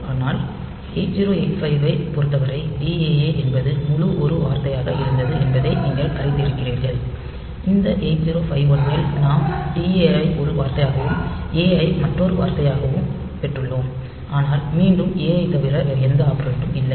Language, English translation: Tamil, But in case of 8085, you remember that DAA this whole thing was a single word; in this 8051 we have got DA as a word and a as another word, but again you cannot have any other operand excepting a